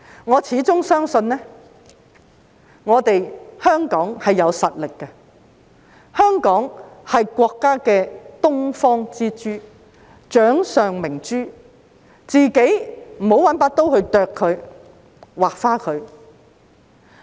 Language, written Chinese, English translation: Cantonese, 我始終相信香港有實力，香港是國家的東方之珠、掌上明珠，我們不要用刀損害它。, As always I believe that Hong Kong with its strength is the Pearl of the Orient and the apple of the eye of the State and we should not harm it with a knife